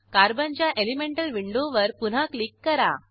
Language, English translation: Marathi, Click again on the Elemental window of Carbon